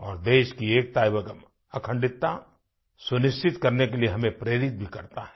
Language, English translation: Hindi, It also inspires us to maintain the unity & integrity of the country